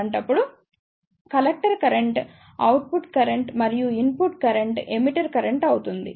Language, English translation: Telugu, In that case, the collector current will be the output current and input current will be the emitter current